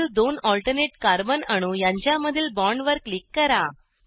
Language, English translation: Marathi, Click on the bond between the next two alternate carbon atoms